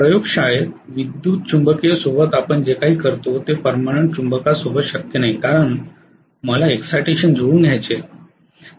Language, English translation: Marathi, What we do in the laboratory is with an electromagnetic is not done with the permanent magnet because I want to be able to adjust the excitation